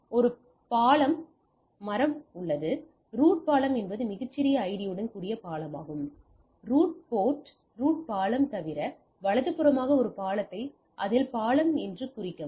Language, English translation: Tamil, So, that I have a bridge tree, so the root bridge is the bridge with the smallest ID, mark one port in it bridge except the root bridge as the root port right